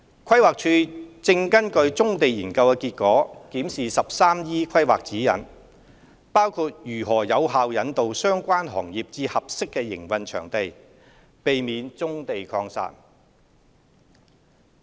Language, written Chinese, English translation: Cantonese, 規劃署正根據《棕地研究》結果檢視 "13E 規劃指引"，包括如何有效引導相關行業至合適營運場地，避免棕地擴散。, 13E with reference to the results of the Brownfield Study and is seeing how to guide the relevant industries to operate in suitable sites to avoid proliferation of brownfield operations